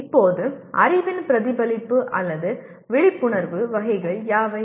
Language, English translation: Tamil, Now what are the types of reflection or awareness of knowledge